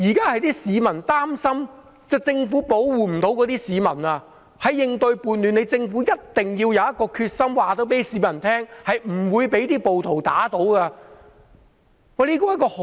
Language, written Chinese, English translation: Cantonese, 現在市民擔心政府無法保護市民，在應對叛亂上，政府一定要有決心告訴市民，政府是不會被暴徒打倒的。, Now the people are worried that the Government cannot protect them . In dealing with the rebellion the Government must have the determination to tell the people that the Government is not going to be toppled by the rioters